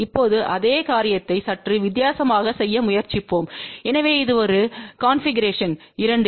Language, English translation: Tamil, Now let us try to do the same thing in a slightly different way so this is a configuration two